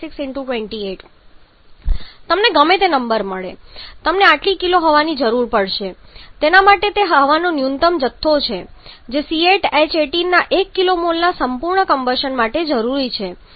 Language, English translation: Gujarati, 76 into 28 whatever number you are getting this much kg of air will be required for it is a minimum quantity over that is required for complete combustion of 1 kilo mole of C8 H18